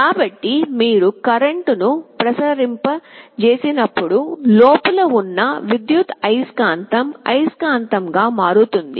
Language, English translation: Telugu, So, when you apply a current there is an electromagnet inside, which gets magnetized